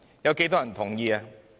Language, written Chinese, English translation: Cantonese, 有多少人同意？, How many people had given their consent?